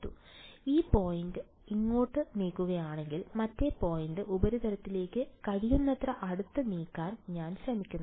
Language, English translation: Malayalam, So, if I take 1 point over here and 1 point over here and I move this point over here, and I move this point I am trying to move as close as possible to the surface